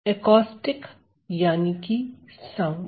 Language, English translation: Hindi, So, Acoustic means sound